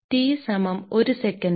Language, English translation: Malayalam, So, this T is equal to 1 second